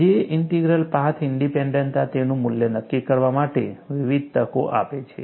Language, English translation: Gujarati, Path independence of the J Integral offers a variety of opportunities for determining its value